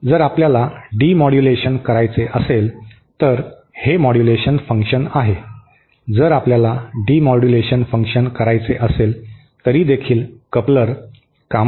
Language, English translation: Marathi, If we want to do the demodulation, this is the modulation function, if we want to do the demodulation function, then also couplers come in handy